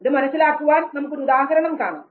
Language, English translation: Malayalam, Let us understand by this very example